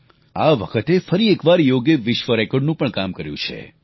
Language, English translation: Gujarati, Yoga has created a world record again this time also